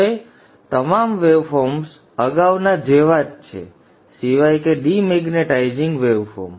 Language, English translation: Gujarati, Now the waveform, all the waveforms are exactly similar as the previous except the magnetizing demagnetizing waveform